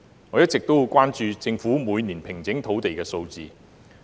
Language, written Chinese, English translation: Cantonese, 我一直十分關注政府平整土地的年度數字。, I have been very much concerned about the annual figures of land formation by the Government